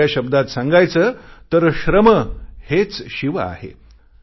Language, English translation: Marathi, In other words, labour, hard work is Shiva